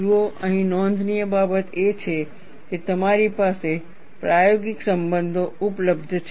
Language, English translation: Gujarati, See, the point here to note is, you have empirical relations available